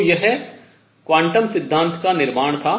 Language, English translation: Hindi, So, this was the build up to quantum theory